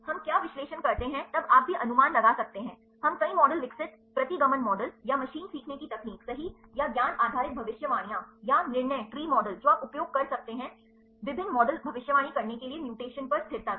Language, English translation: Hindi, What we do the analysis then you can also predict, we can develop several models regression the models, or the machine learning techniques right, or the knowledge based predictions, or the decision tree models you can use various models to predict the stability upon mutation